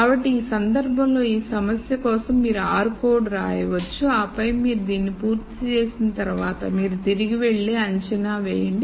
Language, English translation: Telugu, So, in this case for this problem you might write an r code and then once you are done with this then you go back and assess the assumption